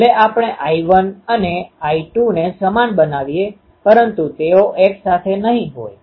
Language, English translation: Gujarati, Even if we make I 1 and I 2 same they won't be together